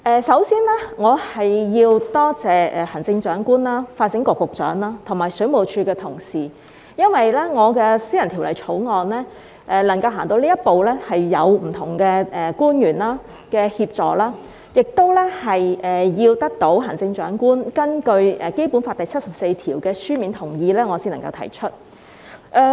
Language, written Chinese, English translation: Cantonese, 首先，我要多謝行政長官、發展局局長和水務署的同事，因為我的私人條例草案能夠走到這一步，是有賴不同官員的協助，也要得到行政長官根據《基本法》第七十四條的書面同意，我才能夠提出。, First I need to thank the Chief Executive the Secretary for Development and the WSD colleagues . Thanks to the assistance rendered by different public officers and the written consent given by the Chief Executive under Article 74 of the Basic Law my private bill is able to reach this far and I am able to introduce the Bill . Just now Dr Priscilla LEUNG said she wished to congratulate me